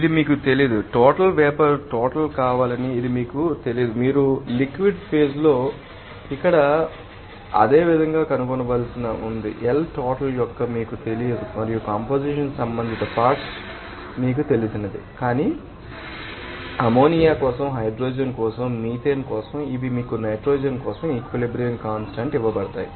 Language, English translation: Telugu, It is not known to you also want to be the total amount of vapor It is also not known to you that you have to find out similarly in the liquid phase, the amount L is not known to you and also composition That respective components are not known known to you, but equilibrium constants are given to you for nitrogen as like this for hydrogen for ammonia for our you know that our gun and also for methane these are given to you